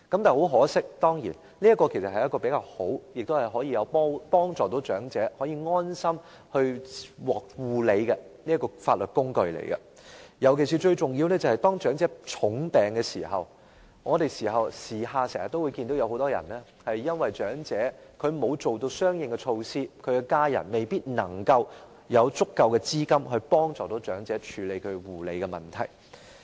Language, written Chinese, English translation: Cantonese, 這當然是較好及能夠在護理安排上使長者安心的法律工具，尤其是當長者患重病時，我們經常看到很多長者由於沒有作出相應措施，其家人又未必有足夠資金幫助長者處理其護理的問題。, This legal instrument is certainly better in putting the minds of the elderly at ease about their care arrangements . This is particularly so when the elderly are seriously ill as we always see that many elderly have not made these arrangements while their family members may not have the means to help the elderly handle issues relating to their care